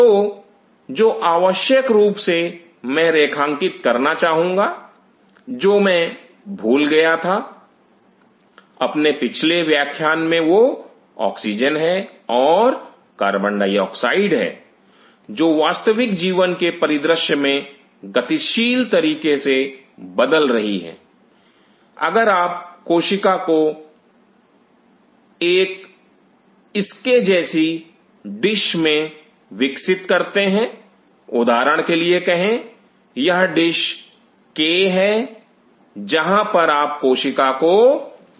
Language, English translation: Hindi, So, what essentially, I wish to highlight which I forgot in the previous class is oxygen and CO2 is dynamically changing in a real life scenario, but if you grow cells in a dish like this say for example, this is the dish K where you are growing the cell